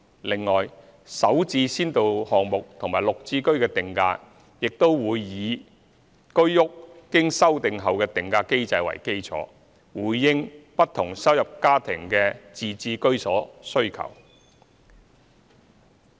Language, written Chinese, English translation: Cantonese, 另外，"首置"先導項目和"綠置居"的定價亦會以居屋經修定後的定價機制為基礎，回應不同收入家庭的自置居所需求。, In addition to meet the home ownership needs of households of various income levels the Starter Homes SH pilot project and the Green Form Subsidised Home Ownership Scheme GSH will also be priced based on the revised HOS pricing mechanism